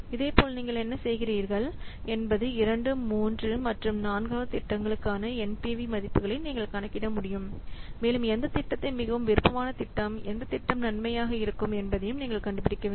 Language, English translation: Tamil, You can calculate the NPV values for the projects for the second, third and for project and you can draw the inference, find out which project with the most preferred one, which project will be the most beneficial one